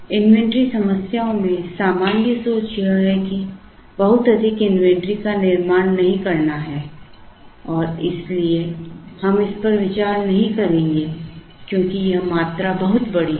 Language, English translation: Hindi, General thinking in inventory problems is not to build up a lot of inventory, and therefore this will we will not consider because this quantity is a very large quantity